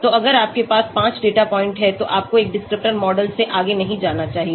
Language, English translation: Hindi, So if you have 5 data points, you should not go beyond one descriptor model